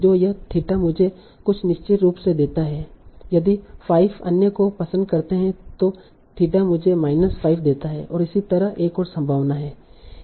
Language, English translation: Hindi, So how does this theta gives me certain score, say liking of 5, another theta gives me minus 5 and so